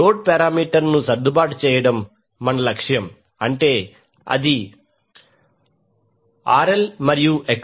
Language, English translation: Telugu, Our objective is to adjust the load parameter, that is RL and XL